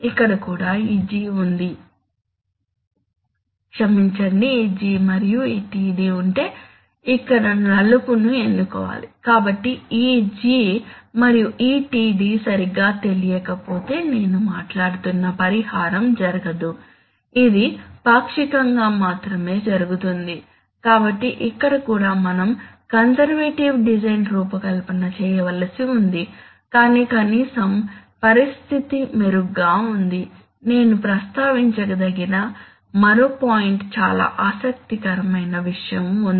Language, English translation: Telugu, So here also you have to do a, here also if this G and this, just a moment, so here also if this G, I am sorry, if this G and this Td, this has to be selected as black, so if this G and this Td are not properly known then the compensation that I am talking about will not take place, it will take place only partial, so here also we have to make a conservative design but at least the situation is better, there is one more point very interesting point which I wanted to mention